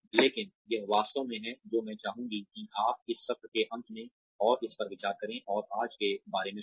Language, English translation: Hindi, But, this is really, what I would like you to go through, and mull over, and think about today, at the end of this session